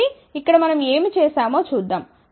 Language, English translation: Telugu, So, let us see what we have done here